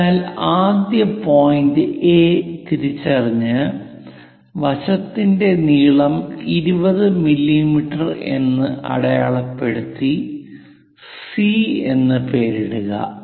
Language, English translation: Malayalam, So, P first identify point A point A here and a side length of 20 mm and name it C